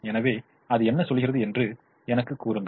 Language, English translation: Tamil, so what does it tell me